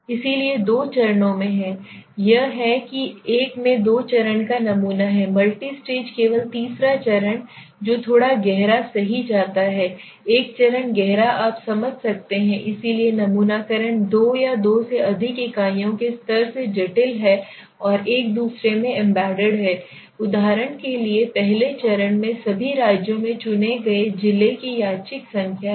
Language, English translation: Hindi, So in a two stage way we are doing so this is something which we say is a two stage sample in a multi stage only the third stage that goes little deeper right one stage deeper you can understand so sampling is complex from the two or more levels of units are embedded in one and a another so example you say is first stage random number of district chosen in all the states